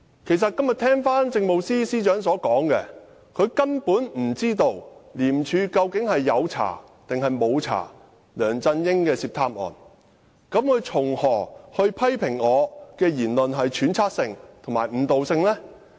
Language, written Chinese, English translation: Cantonese, 今天政務司司長說，她根本不知道廉政公署有否調查梁振英涉貪案，試問她怎能批評我的言論是揣測性及誤導性？, Today the Chief Secretary said that she simply did not know if ICAC had investigated the corruption case involving LEUNG Chun - ying . How then could she criticize that my remark was speculative and misleading?